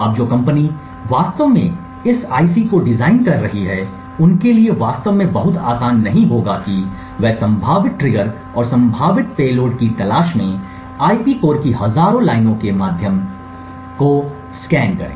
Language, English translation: Hindi, Now the company which is actually designing this IC it would not be very easy for them to actually scan through thousands of lines of IP cores looking for potential triggers and potential payloads that may be present